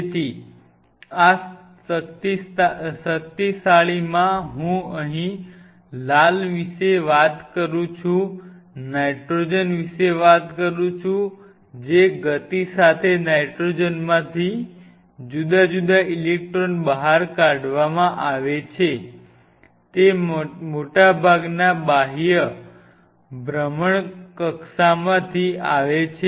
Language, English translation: Gujarati, So, powerful within this particular say I talk about the red here, talk about nitrogen the speed with which the different electrons from nitrogen are ejected from which server orbital it is coming from most of the outer orbitals